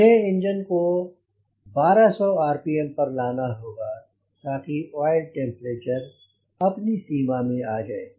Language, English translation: Hindi, i need to put the engine on twelve hundred rpm so that the oil temperature comes to the limit